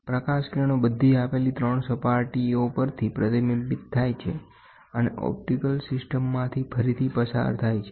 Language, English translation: Gujarati, The light rays reflect from all the 3 surfaces, passes through the optical system again